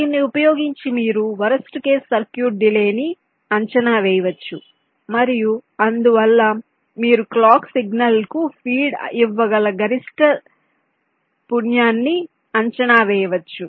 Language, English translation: Telugu, using this you can estimate the worst is delays, and hence you can predict the maximum frequency with which you can feed the clock clock signal